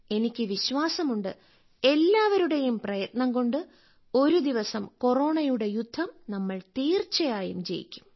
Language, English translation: Malayalam, and I am sure that with everyone's efforts, we will definitely win this battle against Corona